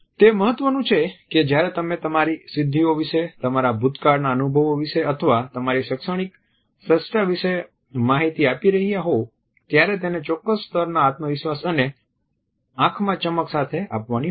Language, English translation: Gujarati, It is important that when you are giving information about your achievements, about your past experience or your academic excellence then it has to be given with a certain level of confidence and sparkle in the eyes